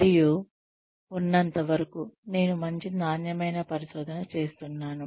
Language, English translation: Telugu, And, as long as, I am doing good quality research